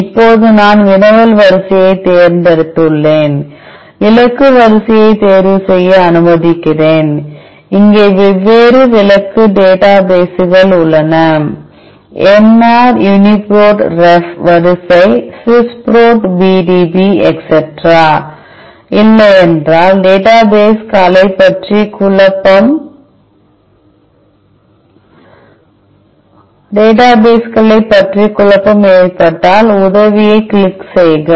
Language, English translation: Tamil, Now, that I have chosen the querry sequence let me choose the target sequence there are different target databases here, nr UniProt ref sequence Swiss Prot PDB etcetera, if you are not if confused about the databases just click on the help